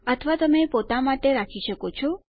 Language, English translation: Gujarati, Or you can keep it to yourself